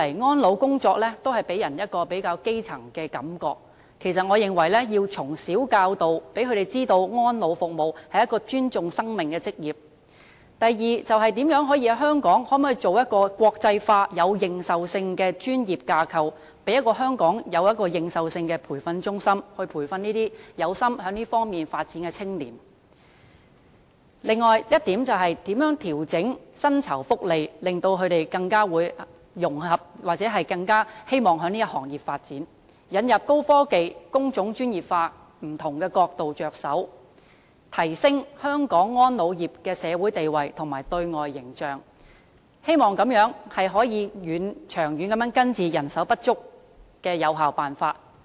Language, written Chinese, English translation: Cantonese, 安老工作一直予人較基層的感覺，我認為首先應從小教導，讓年青人知道安老服務是一門尊重生命的行業；第二，可否在香港建立一個國際化、有認受性的專業架構，成立有認受性的培訓中心，培育有志在這方面發展的青年，並調整薪酬福利，令他們更能融合或更希望在這個行業發展；此外，從引入高科技和工種專業化等不同角度着手，提升香港安老業的社會地位和對外形象，希望這樣能夠長遠地有效根治人手不足的問題。, Secondly can the Government establish an international recognized professional framework in Hong Kong? . It can set up a recognized training centre to nurture young people aspiring to career development in this field and adjust the remuneration package so that they will be more integrated with or keener on pursuing development in this industry . Moreover it can work from different angles such as the introduction of advanced technologies and specialization of trades to enhance the social status and external image of the elderly care industry in Hong Kong with a view to effectively resolving the manpower shortage at root in the long term